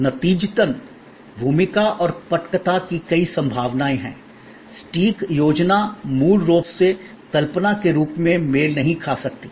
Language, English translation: Hindi, As a result, there are many possibilities of the role and the script, the exact plan may not play out has originally conceived